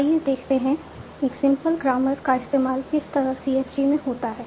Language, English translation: Hindi, So let us take a simple grammar in terms of in a CFG following